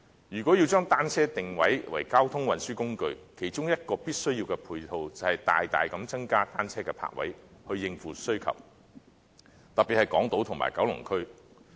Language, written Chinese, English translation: Cantonese, 如果要將單車定位為交通運輸工具，其中一種必需的配套，便是大大增加單車泊位，以應付需求，特別是在港島區和九龍區。, The situation is most unsatisfactory . If bicycles are to be designated as a mode of transport the number of bicycle parking spaces must be increased significantly to cope with the needs especially on Hong Kong Island and in Kowloon